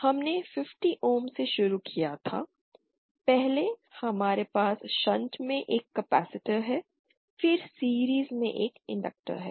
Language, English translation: Hindi, We started from 50 ohms first we have a capacitor in shunt and then an inductor in series